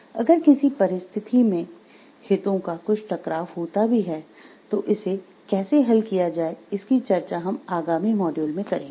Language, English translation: Hindi, And if in any case some conflict of interest happens then how to solve it also we will discuss in the upcoming modules